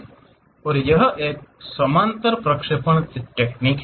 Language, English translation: Hindi, And it is a parallel projection technique